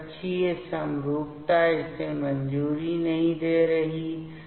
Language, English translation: Hindi, So, orbital symmetry is not approving that